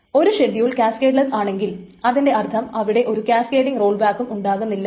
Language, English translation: Malayalam, If a schedule is cascadless, that means that there should not be any cascading rollback